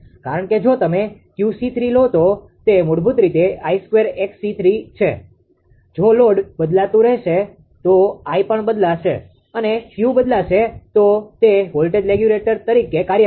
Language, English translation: Gujarati, So, because that if you if you take Q c 3; it will be basically I square x c 3; if load is changing I will change the Q will vary right it acts like a voltage regulator